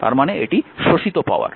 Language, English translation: Bengali, So, it absorbed power